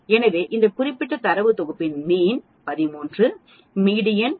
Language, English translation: Tamil, So this particular data set we have a mean of 13, median of 12